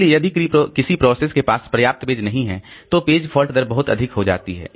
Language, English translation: Hindi, So if a process does not have enough pages, the page fault rate becomes very high